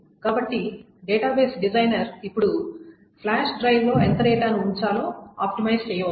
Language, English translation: Telugu, So the database designer can now optimize us to how much data to put on the flash drives